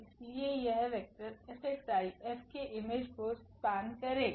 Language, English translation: Hindi, Therefore, these vectors F x i will span the image F